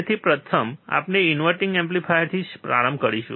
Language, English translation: Gujarati, So, first we will start with the inverting amplifier